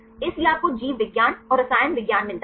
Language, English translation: Hindi, So, you get the biology and chemistry